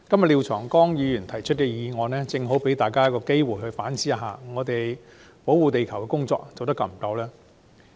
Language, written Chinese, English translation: Cantonese, 廖長江議員今天提出的議案，正好提醒大家反思：我們有否充分保護地球？, The motion moved by Mr Martin LIAO today serves to remind us to rethink whether we are doing enough to protect the Earth?